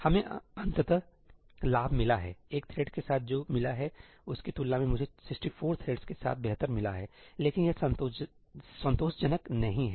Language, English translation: Hindi, We have got gains eventually with 64 threads I have got better than what I had with a single thread, but it is not satisfactory